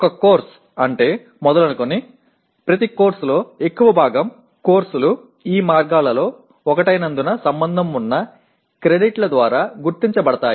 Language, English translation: Telugu, Starting with what a course is, every course is identified by the credits associated as majority of the courses fall into one of these categories